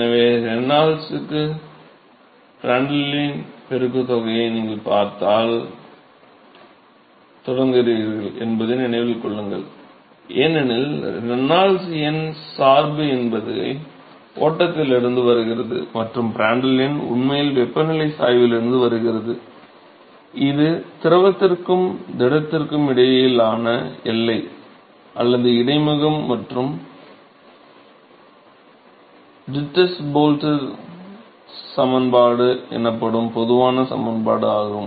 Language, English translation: Tamil, So, remember that you start seeing this product of Reynolds to Prandtl, because Reynolds number dependence comes from the flow and the Prandtl number actually comes from the temperature gradient, that the boundary or the interface between the fluid and the solid and a general correlation as called the Dittus Boelter equation